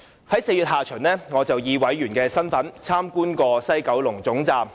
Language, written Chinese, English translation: Cantonese, 在4月下旬，我曾以法案委員會委員身份參觀西九龍站。, I visited the West Kowloon Station in my capacity as a member of the Bills Committee in late April